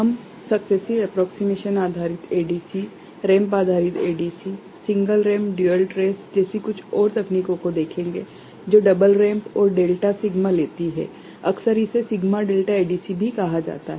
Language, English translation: Hindi, We shall look at few more techniques like successive approximation based ADC, ramp based ADC, single ramp dual trace that takes double ramp and delta sigma, often it is also called sigma delta ADC